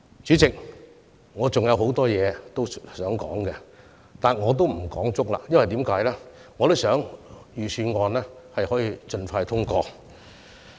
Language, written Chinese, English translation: Cantonese, 主席，我還想就很多事情表達意見，但我不會用盡發言時間，原因是我想預算案能夠盡快獲得通過。, Chairman although I still have a lot more to say I will not use up my speaking time as I hope to see the expeditious passage of the Budget